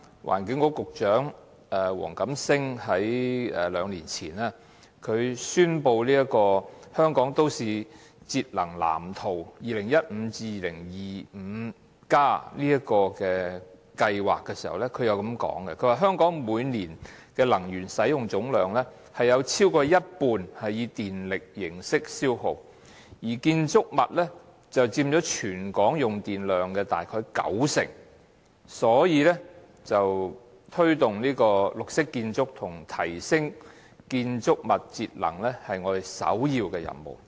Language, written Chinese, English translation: Cantonese, 環境局局長黃錦星在兩年前宣布《香港都市節能藍圖 2015-2025+》計劃時表示："香港每年的能源使用總量，有超過一半以電力形式消耗，而建築物佔全港用電量約九成，推動綠色建築及提升建築物節能是我們首要的任務。, This is a good thing . Two years ago when WONG Kam - sing Secretary for the Environment announced the Energy Saving Plan for Hong Kongs Built Environment 20152025 he said that In Hong Kong more than half of our total annual energy use is in the form of electricity consumption with buildings accounting for about 90 per cent of the citys electricity use . Promoting green buildings and enhancing building energy saving has been one of our priority tasks